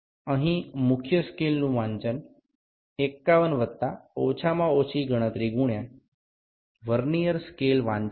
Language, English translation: Gujarati, The main scale reading here is 51 plus least count into Vernier scale reading